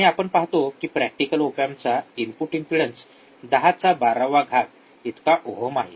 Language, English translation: Marathi, And we will see the input impedance of an practical op amp is around 10 to the power 12 ohms 0 output impedance